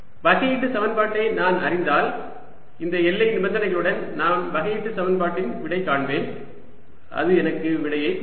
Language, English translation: Tamil, then i would solve the differential equation with these boundary conditions and that'll give me the answer